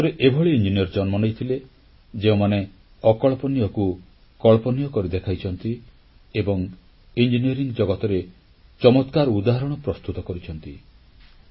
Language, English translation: Odia, There have been several engineers in India who made the unimaginable possible and presented such marvels of engineering before the world